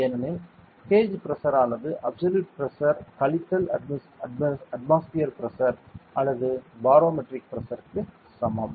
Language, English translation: Tamil, Because the gauge pressure is equal to the absolute Pressure minus atmospheric Pressure or barometric Pressure